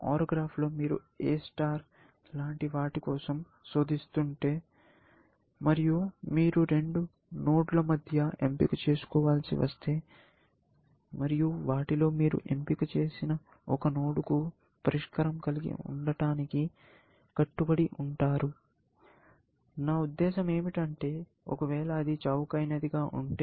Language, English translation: Telugu, If in an OR graph, you are searching something, like A star, if you have to choose between two nodes and you chose one and then, you are committed to having a solution to that nodes; I mean, that if that happened to be the cheapest, essentially